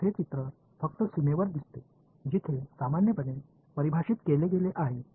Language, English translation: Marathi, So, it comes in the picture only on the boundary where a normally has been defined